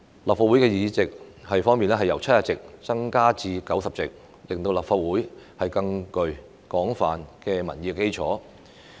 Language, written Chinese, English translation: Cantonese, 立法會議席由70席增至90席，令立法會具更廣泛的民意基礎。, The increase in the number of seats in the Legislative Council from 70 to 90 will give the Council a broader public mandate